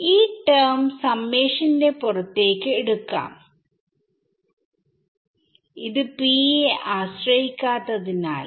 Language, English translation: Malayalam, So, this term can be taken outside the summation so, since it does not depend on p right